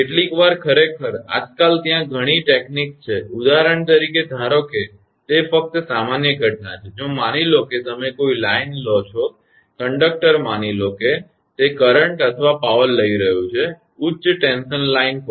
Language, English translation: Gujarati, Sometimes actually; nowadays several techniques are there for example, suppose it is just general phenomena suppose first you take a line, conductor suppose it was carrying current or power say high tension line